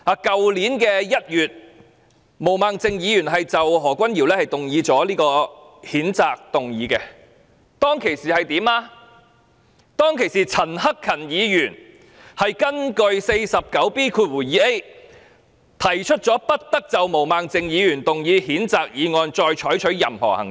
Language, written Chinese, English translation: Cantonese, 去年1月，毛孟靜議員就何君堯議員動議譴責議案，當時陳克勤議員根據《議事規則》第 49B 條，提出不得就毛孟靜議員動議的譴責議案再採取任何行動。, In January last year Ms Claudia MO moved a motion to censure Dr Junius HO . At that time Mr CHAN Hak - kan moved a motion under Rule 49B2A of the Rules of Procedure to order that no further action be taken on Ms Claudia MOs censure motion